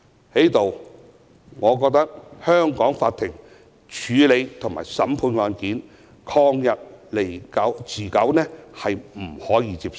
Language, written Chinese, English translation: Cantonese, 在此，我認為香港法庭處理及審判案件曠日持久的情況是不能接受的。, I consider the protracted handling and trials of cases by the Courts in Hong Kong unacceptable